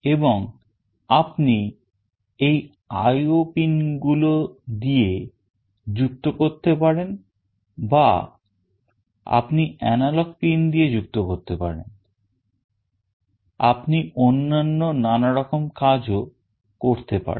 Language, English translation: Bengali, And then you connect through these IO pins or you connect through the analog pins, you can do various other things